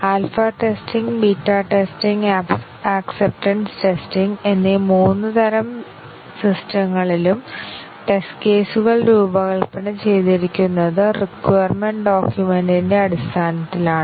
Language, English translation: Malayalam, And remember that in all the three types of system testing alpha testing, beta testing and acceptance testing, the test cases are designed based on the requirements document